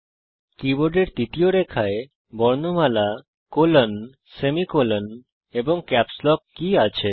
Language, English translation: Bengali, The third line of the keyboard comprises alphabets,colon, semicolon, and Caps lock keys